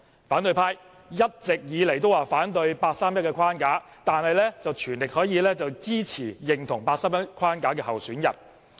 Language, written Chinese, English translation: Cantonese, 反對派一直以來都反對人大八三一框架，但卻全力支持及認同八三一框架下的候選人。, The opposition camp has all along opposed the 31 August framework put forward by the National Peoples Congress yet they fully support and agree with a candidate nominated under this framework